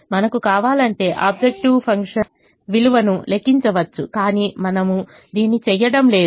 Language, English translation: Telugu, if we want, we can calculate the objective function value, but we are not doing it